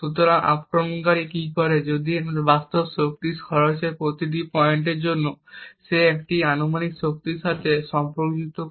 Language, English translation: Bengali, So, what the attacker does if that for each point in this real power consumption he correlates this with a hypothetical power